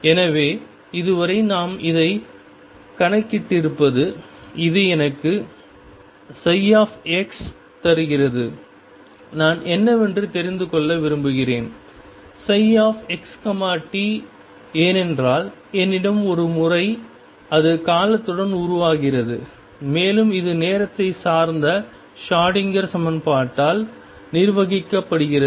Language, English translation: Tamil, So, so far what we have calculated it this gives me psi x, what I also want to know is what is psi x t because once I have a psi it evolves with time and that is governed by time dependent Schroedinger equation